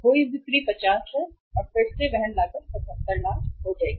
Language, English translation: Hindi, Lost sales are 50 and then the carrying cost will be 77 lakhs